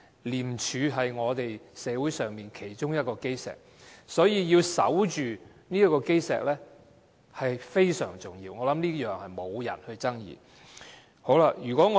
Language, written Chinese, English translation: Cantonese, 廉署是我們社會其中一個基石，所以要守着這個基石非常重要，我覺得這是沒有人會爭議的。, ICAC is one of the cornerstones of our society and it is thus very important to safeguard this cornerstone . I think this is incontestable